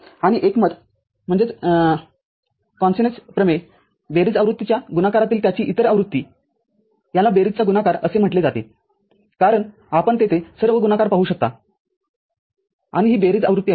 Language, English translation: Marathi, And, consensus theorem its other version in the product of sum version it is called product of sum because you can see all the products are there and this is sum version